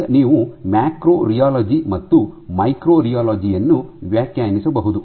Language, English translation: Kannada, So, you can define a macro rheology and a micro rheology